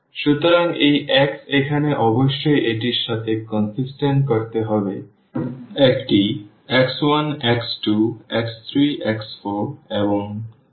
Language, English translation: Bengali, So, this x here must be to make it consistent with this a will have like x 1, x 2, x 3, x 4 and x 5